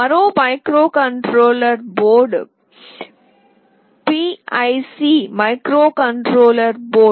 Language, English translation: Telugu, Another microcontroller board is PIC microcontroller board